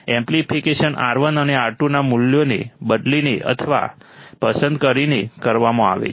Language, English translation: Gujarati, Amplification is done by substituting the values of or selecting the values of R1 and R2